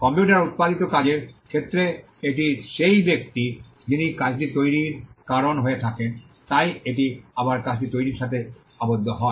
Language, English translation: Bengali, For computer generated work it is the person who causes the work to be created, so again it is tied to the creation of the work